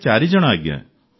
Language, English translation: Odia, We are four people Sir